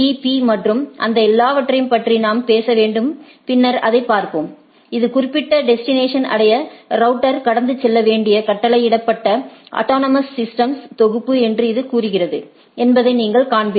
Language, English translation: Tamil, Or later we will see that we need to talk about BGP, BGP and all those things then you will see that the it says that this that the ordered set of autonomous systems which the router need to pass to reach to that particular destination, if it is a inter domain routing